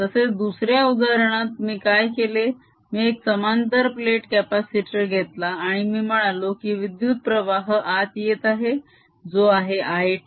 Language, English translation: Marathi, similarly, in the other example, what i did, i took a parallel plate capacitor and i said there is a current which is coming in which is i t